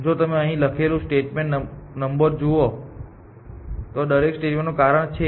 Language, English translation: Gujarati, So, if you look at the statement number 2 that we have written here; there is reason for every statement